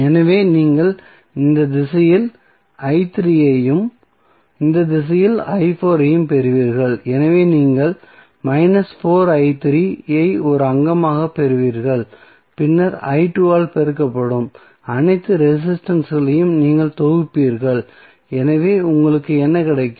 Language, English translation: Tamil, So, you will get minus sorry i 3 in this direction and i 4 in this direction so you will get minus 4i 3 as a component and then you will sum up all the resistances multiplied by i 2, so what you get